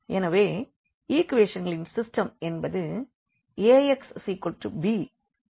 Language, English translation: Tamil, So, if we write down the system of equations into Ax is equal to b form